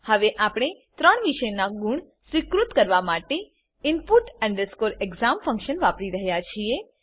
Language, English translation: Gujarati, Now we are using input exam function to accept the marks of three subject